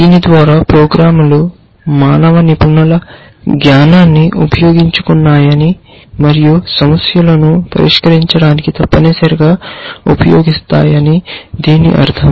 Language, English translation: Telugu, And by this we mean that programs which harnessed the knowledge of human experts and use that for solving problems essentially